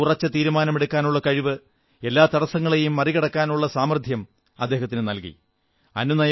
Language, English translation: Malayalam, His decision making ability infused in him the strength to overcome all obstacles